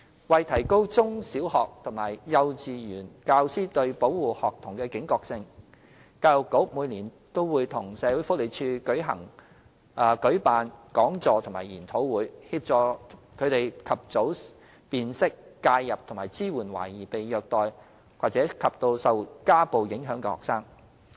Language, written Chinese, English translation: Cantonese, 為提高中、小學及幼稚園教師對保護學童的警覺性，教育局每年均會與社署合作舉辦講座及研討會，協助他們及早辨識、介入及支援懷疑被虐待及受家暴影響的學生。, To raise the awareness of teachers of secondary primary and kindergarten levels the Education Bureau organizes talks or seminars annually in collaboration with SWD to advise them on early identification intervention and support of suspected student victims of child abuse and domestic violence